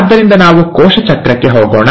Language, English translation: Kannada, So let us go to the cell cycle